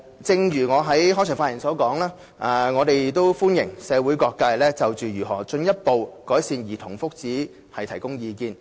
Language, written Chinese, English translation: Cantonese, 正如我在開場發言所說，我們歡迎社會各界就如何進一步改善兒童福祉提供意見。, As I said in my keynote speech we welcome the views put forth by various social sectors on further improving childrens well - being